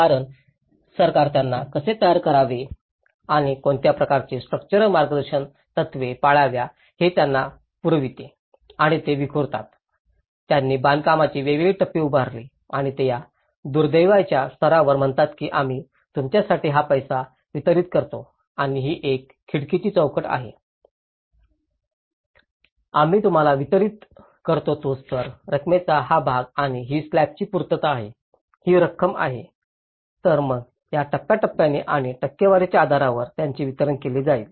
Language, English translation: Marathi, Because the government provides them how to build and what kind of structural guidelines they have to follow and they disperse, they set up different stages of construction and they say at this plinth level, this is what we deliver you the money and this is a sill level this is what we deliver you, this part of the amount and this is the completion of the slab, this is the amount, so then that way they distributed by the stages and in the percentage basis